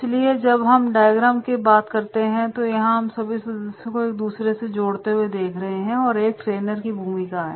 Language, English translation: Hindi, So when we talk about this particular diagram so here when we are connecting all these members each other and that is the role of a trainer